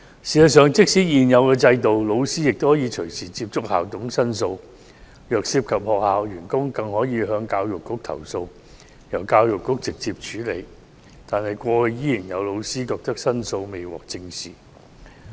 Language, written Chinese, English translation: Cantonese, 事實上，即使在現有制度下，老師也可隨時接觸校董並作出申訴，如果涉及學校員工，更可向教育局投訴，由教育局直接處理，但是，過去仍有老師反映申訴未獲正視。, In fact teachers can contact school managers and make complaints at any time under the existing system . If school staff members are involved they can complain to the Education Bureau so that the Bureau can directly deal with the cases . However some teachers reflected in the past that their complaints had not been taken seriously